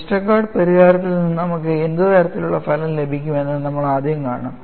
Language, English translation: Malayalam, We will first see, what is the kind of result we get from Westergaard solution